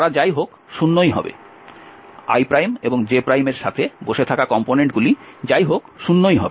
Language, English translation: Bengali, they will be anyway 0, the component sitting with i and j will be anyway 0